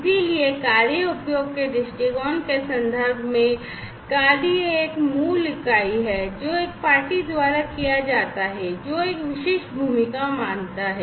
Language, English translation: Hindi, So, the task is in the context of usage viewpoint, the task is a basic unit of work, that is carried out by a party, that assumes a specific role